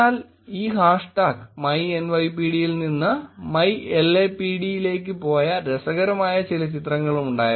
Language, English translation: Malayalam, But interestingly there were also pictures, this hash tag went from myNYPD to myLAPD